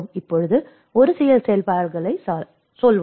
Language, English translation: Tamil, Now, let us say a few activities